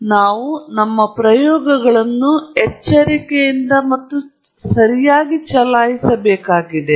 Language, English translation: Kannada, So, we have to run our experiments carefully and correctly